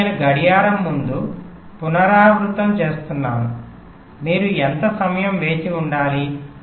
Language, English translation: Telugu, again i am repeating before clock, how much time you have to wait